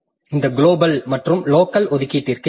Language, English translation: Tamil, Then this global versus local allocation